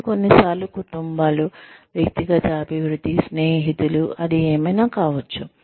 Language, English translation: Telugu, It is families, sometimes, its personal development, its friends, it is, it could be anything